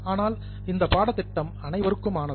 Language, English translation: Tamil, But this course is for everybody